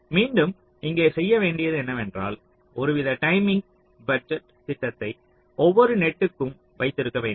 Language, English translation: Tamil, but again, what you need to do here is that you need to have some kind of timing budget for every net